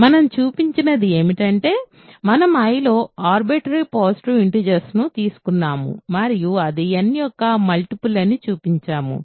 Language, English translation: Telugu, So, what we have shown is that, we have taken an arbitrary positive integer in I and showed that it is a multiple of n ok